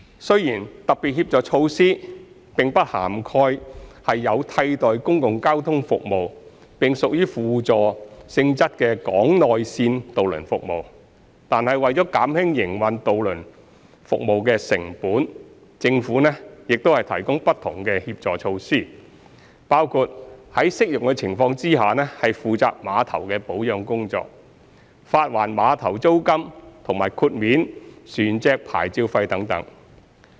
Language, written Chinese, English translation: Cantonese, 雖然特別協助措施並不涵蓋有替代公共交通服務並屬輔助性質的港內線渡輪服務，但為減輕營運渡輪服務的成本，政府亦提供不同的協助措施，包括在適用的情況下負責碼頭的保養工作、發還碼頭租金和豁免船隻牌照費等。, Although SHMs do not cover in - harbour ferry services which play a supplementary role as an alternative public transport service the Government has taken up the maintenance work of piers where applicable reimbursed pier rentals exempted vessel licence fees and so on to alleviate the operating costs of these routes